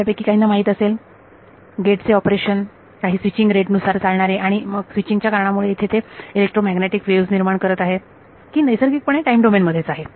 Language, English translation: Marathi, There is some you know gate that is operating at some switching rate and because of the switching it is producing some electromagnetic waves that we something naturally in the time domain